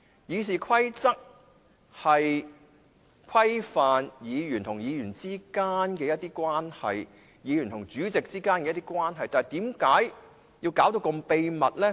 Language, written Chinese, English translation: Cantonese, 《議事規則》旨在規範議員與主席之間關係，但為何要弄到這麼秘密呢？, The Rules of Procedure aim to specify the relationship between Members and the President but why do the records have to be kept in such a confidential way?